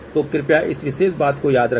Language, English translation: Hindi, So, please remember this particular thing